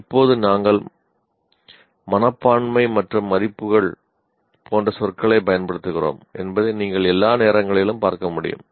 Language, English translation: Tamil, Now, as you can see, all the time we are using the words attitudes and values